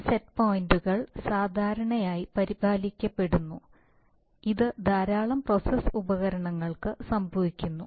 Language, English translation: Malayalam, And in between these set points are generally maintained, this happens for a lot of process equipment